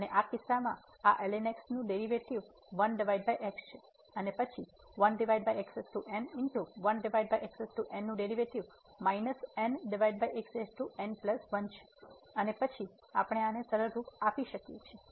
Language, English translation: Gujarati, And in this case the derivative of this is simply 1 over and then the derivative of 1 over power is minus over power and then we can simplify this